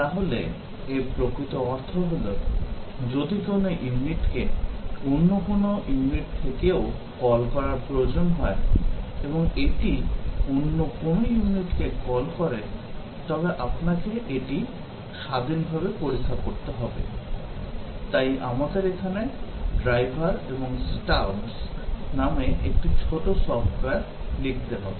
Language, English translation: Bengali, So, what it really means is that, if a unit needs to be called from some other unit and also, it calls some other units, then since you have to test it independently, we need to write small software here called as a drivers and stubs